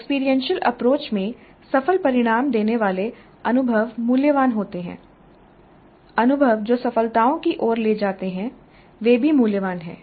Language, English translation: Hindi, In experiential approach experiences which lead to successful results are valuable, experiences which lead to failures are also valuable